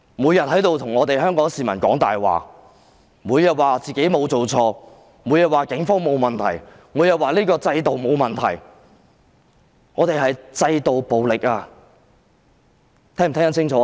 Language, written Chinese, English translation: Cantonese, 每天在此向香港市民說謊，每天都說自己沒有做錯，每天也說警方沒有問題，以及這個制度沒有問題，但這是制度暴力，司長聽清楚了嗎？, Every day you lie to the citizens of Hong Kong claiming that you have done nothing wrong . Every day you say there is no problem with the Police as well as the institution . But that is institutional violence